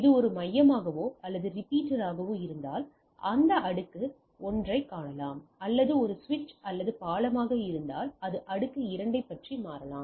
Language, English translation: Tamil, So, if it is a hub or repeater it is it can see that layer 1 where as if it is a switch or bridge it can switch about layer 2 and so and so forth right